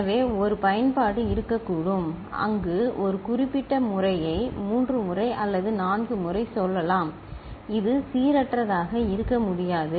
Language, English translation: Tamil, So, there could be an application where we are looking at a particular pattern coming say 3 times or 4 times which cannot be random